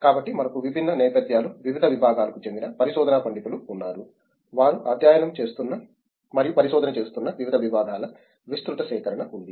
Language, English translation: Telugu, So, we have a broad collection of research scholars, different backgrounds, different departments, different disciplines that they are studying and pursuing research in